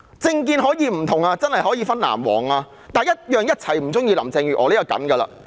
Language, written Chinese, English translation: Cantonese, 政見可以不同，可以分成藍黃，但大家必定同樣不喜歡林鄭月娥。, While political views can be different and divided into the blue and yellow camps people definitely share the same dislike for Carrie LAM